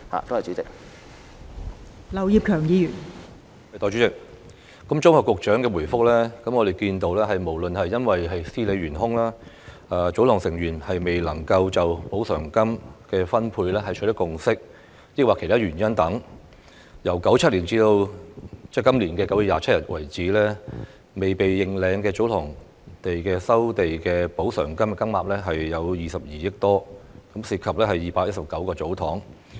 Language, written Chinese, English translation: Cantonese, 代理主席，綜合局長的答覆，我們看到不論是因為司理懸空、祖堂成員未能就補償金的分配取得共識，抑或其他原因等，由1997年直至今年9月27日為止，未被認領的祖堂地的收地補償金金額有22億元多，涉及219個祖堂。, Deputy President summing up the Secretarys reply we can see that because of tsotong manager posts being vacant tsotong members failing to reach a consensus on the allotment of the compensation monies or other reasons the amount of compensation monies being left unclaimed for tsotong land resumed from 1997 to 27 September this year exceeds 2.2 billion involving 219 tsostongs